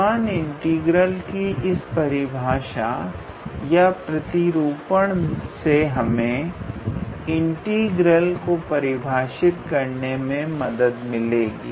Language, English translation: Hindi, So, this particular definition or the representation of a Riemann integral will give motivation to the definite integral